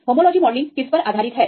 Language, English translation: Hindi, Homology modelling is based on